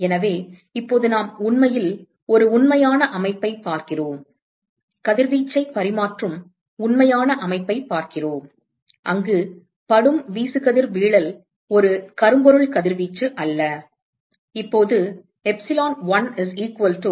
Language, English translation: Tamil, So, now we are really looking at a real system, looking at real system exchanging radiation, looking at a real system exchanging radiation where the incident irradiation is not that of a black body radiation